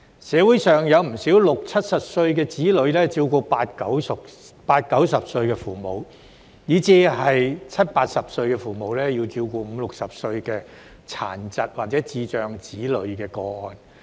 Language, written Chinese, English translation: Cantonese, 社會上有不少60歲、70歲的子女，要照顧80歲、90歲的父母，以至是70歲、80歲的父母，要照顧50歲、60歲的殘疾或智障子女的個案。, In our society there are many cases where the children in their sixties and seventies need to take care of their 80 - to 90 - year - old parents and parents in their seventies and eighties need to take care of their 50 - to 60 - year - old children with physical or intellectual disabilities